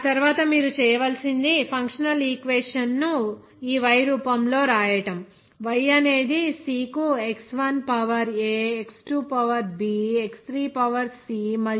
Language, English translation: Telugu, After that, what you have to do write the functional equation in the form of like this y is equal to like C to X1 to the power an X2 to the power b X3 to the power c and …